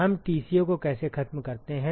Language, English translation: Hindi, How do we eliminate Tco